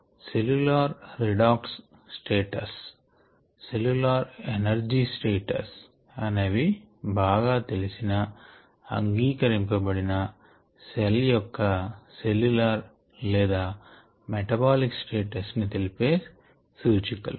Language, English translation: Telugu, cellular redox status is a well known indicator and cellular energy status is another well known, accepted indicator of the cellular or a metabolic status of the cells